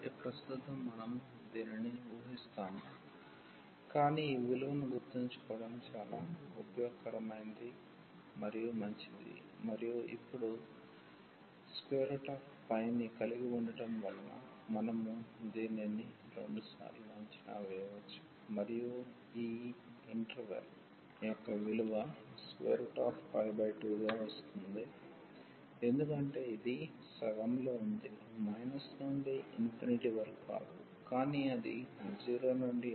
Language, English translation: Telugu, So, at present we will assume this, but it is very useful integral and better to also remember this value square root of pi and having this one now we can evaluate this 2 times and the value of this interval is coming to b square root pi by 2 because this is in the half range not from minus into infinity, but it is 0 to infinity